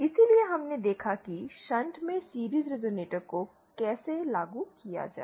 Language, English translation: Hindi, So we saw how to implement a series resonator in shunt